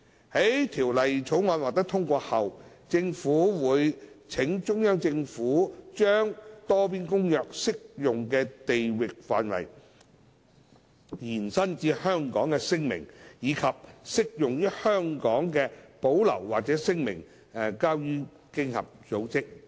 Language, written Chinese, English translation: Cantonese, 在《條例草案》獲通過後，政府會請中央政府把《多邊公約》適用的地域範圍延伸至香港的聲明，以及適用於香港的保留或聲明，交予經合組織。, Upon passage of the Bill the Government will seek CPGs assistance in depositing a declaration to OECD for territorial application of the Multilateral Convention to Hong Kong together with the reservations or declarations applicable to Hong Kong